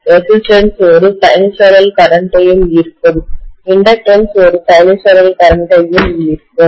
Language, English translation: Tamil, The resistance will also draw a sinusoidal current, the inductance will also draw a sinusoidal current